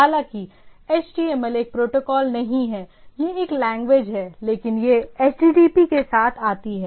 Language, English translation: Hindi, Though HTML is not a protocol it is a language but it comes hence in an with HTTP